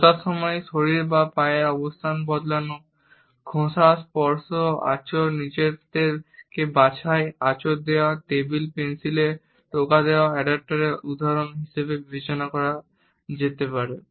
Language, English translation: Bengali, Shifting body or feet position when seated, rubbing, touching, scratching, picking oneself, scratching, tapping of a pencil on the table, can be considered as examples of adaptors